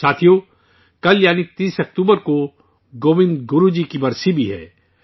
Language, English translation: Urdu, the 30th of October is also the death anniversary of Govind Guru Ji